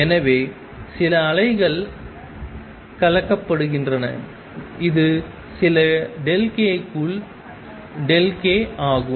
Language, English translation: Tamil, So, there are some waves being mixed, this is delta k within some delta k